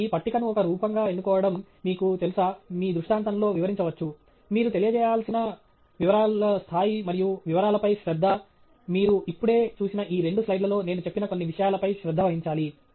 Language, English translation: Telugu, So, the choice of a table as a form of, you know, illustration is yours, the level of detail and attention to detail that you need to pay are some of things that I have highlighted on these two slides that you have just seen